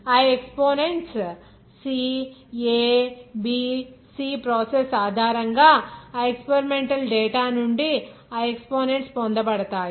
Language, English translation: Telugu, Those exponents C a b c all those exponents will be obtained from that experimental data based on your process